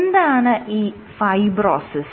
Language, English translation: Malayalam, So, what is fibrosis